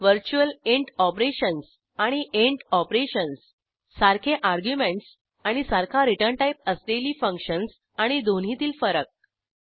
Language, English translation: Marathi, virtual int operations () and int operations () functions with the same argument and same return type and difference between both